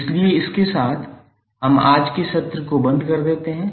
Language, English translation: Hindi, So with this we close todays session